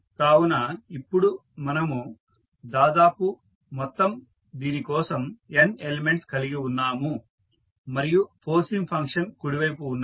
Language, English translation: Telugu, So, we have now around total n element for one as the out as the forcing function on the right side